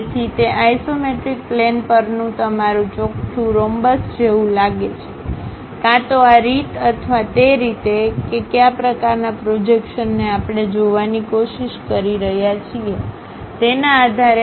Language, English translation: Gujarati, So, your square on that isometric plane looks like a rhombus, either this way or that way based on which kind of projections we are trying to look at